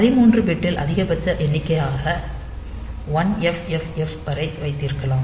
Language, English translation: Tamil, So, you can have in 13 bit the maximum number that you can represent is 1FFF